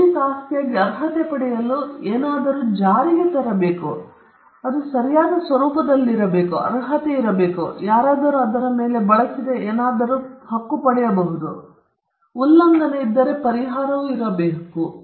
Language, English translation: Kannada, For something to qualify as an intellectual property right it should be enforceable; it should be in the nature of a right, there should be an entitlement somebody can claim something used on it, and if there is a violation that right, there should be a remedy